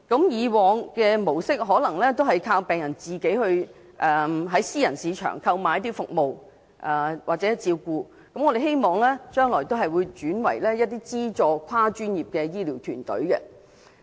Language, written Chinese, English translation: Cantonese, 以往的模式是依靠病人自行在私人市場購買服務或照顧，我們希望將來會轉為提供資助的跨專業醫療團隊。, The previous model relies on patients buying services or care in the private market . We hope subsidized cross - discipline health care teams will be provided instead in the future